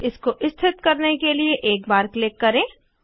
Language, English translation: Hindi, Click once to place it